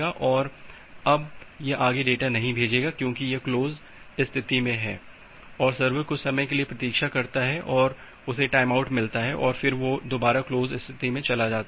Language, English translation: Hindi, And, it will not send any more data because it is in the close state and the server will wait for some amount of time, get a time out and again move to the close state